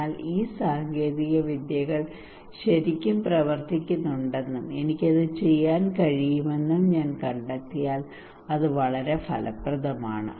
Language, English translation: Malayalam, So if I found that these technologies really work and I can do it is very effective